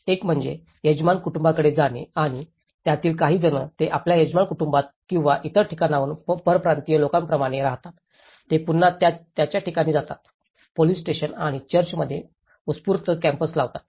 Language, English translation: Marathi, One is move to the host families and some of them, they tend to move to their host families or like people who are migrants from different places, they go back to their places, setup spontaneous camps in police stations and churches